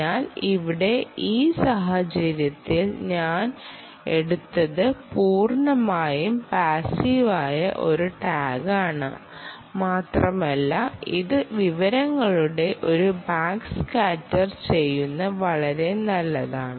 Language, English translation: Malayalam, so here, in this case, what i have taken is a completely passive tag and its doing a back scatter of the information